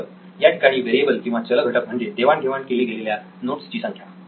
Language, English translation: Marathi, So the variable goes there, the number of notes shared The number of notes shared